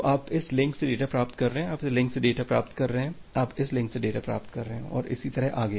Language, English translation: Hindi, So, you are getting data from this link, you are getting data from this link, you are getting data from this link and so on